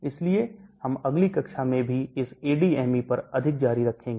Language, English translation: Hindi, So we will continue more on this ADME in the next class as well